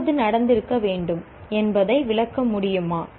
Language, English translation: Tamil, Can you explain what must have happened when